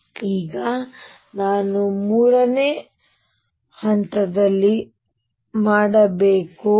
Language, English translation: Kannada, So, what do I do now step 3